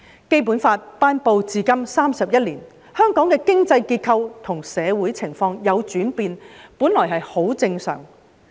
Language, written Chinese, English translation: Cantonese, 《基本法》頒布至今31年，香港的經濟結構和社會情況有轉變，本來很正常。, It has been 31 years since the promulgation of the Basic Law . It is only natural that the economic structure and social situation in Hong Kong have changed